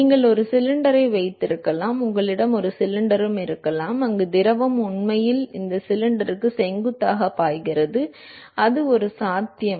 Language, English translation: Tamil, You could also have a cylinder, you also have a cylinder, where the fluid is actually flowing perpendicular to this cylinder; that is one possibility